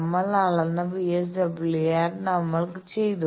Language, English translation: Malayalam, So, we have done the VSWR we have measured